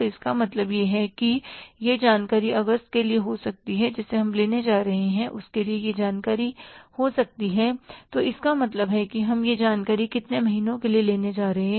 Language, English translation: Hindi, So, it means this information for the August we are going to take so it means we are going to take this information for how many months